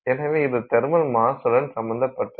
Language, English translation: Tamil, So, that's got to do with the thermal mass